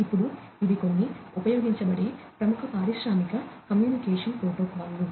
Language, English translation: Telugu, Now, these are some of these popular industrial communication protocols that are used